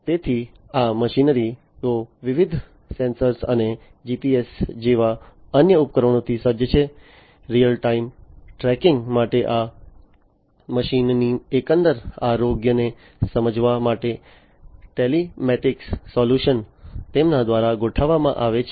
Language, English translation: Gujarati, So, these machinery are equipped with different sensors and different other devices like GPS etcetera for real time tracking, for understanding the overall health of these machines, telematic solutions are deployed by them